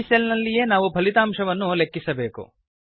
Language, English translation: Kannada, We shall use this cell to compute the result